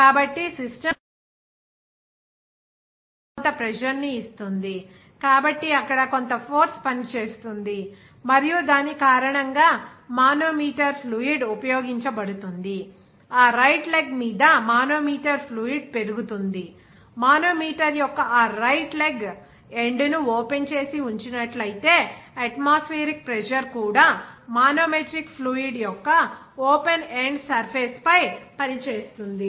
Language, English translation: Telugu, So, in one leg whenever system will give you some pressure on that particular leg, so, there some force will be acting on that and because of which what will be the manometer fluid will be used that manometer fluid will be rise on that right leg of the manometer, and on that right leg if it is kept to open its end, then atmospheric pressure also will be acting on that open end surface of the manometric fluid